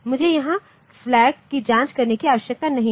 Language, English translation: Hindi, So, I do not need to check the flag here